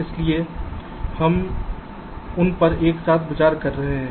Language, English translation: Hindi, so we are considering them together